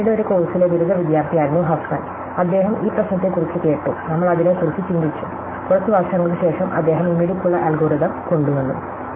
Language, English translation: Malayalam, So, it turned out the Huffman was a graduates student in a course of Fano, he heard about this problem and we thought about it, and after a few years he came up with this clever algorithm which we have done today